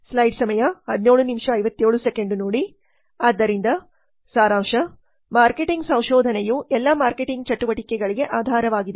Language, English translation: Kannada, So as a summary, marketing research is the base for all marketing activities